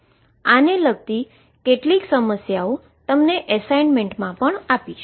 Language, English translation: Gujarati, I will also give you some problems related to this in your assignment